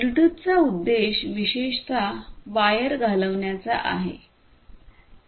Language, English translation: Marathi, Bluetooth is particularly aimed at replacing the cables